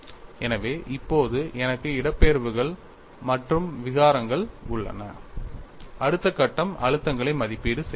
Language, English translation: Tamil, Now, I have displacements as well as strains the next step is evaluate the stresses